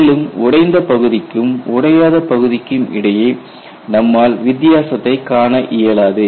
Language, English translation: Tamil, You will not be able to distinguish between broken and unbroken parts